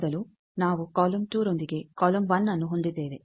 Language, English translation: Kannada, Earlier we have column 1 with column 2